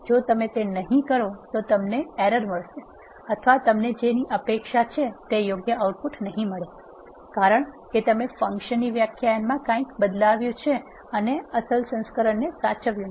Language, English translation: Gujarati, If you do not do that either you get an error or you will not get correct outputs which you are expecting, because you would have changed something in the function definition and not saved the original version